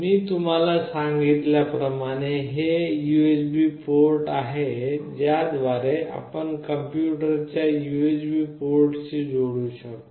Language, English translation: Marathi, As I have told you this is the USB port through which you can connect to the USB port of the PC